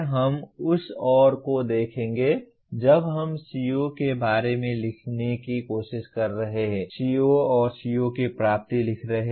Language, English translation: Hindi, We will look at that more when we are trying to write about CO, writing COs and CO attainments